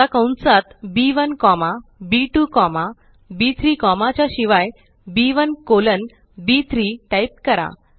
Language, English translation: Marathi, Now, within the braces, instead of B1 comma B2 comma B3, type B1 colon B3 Press Enter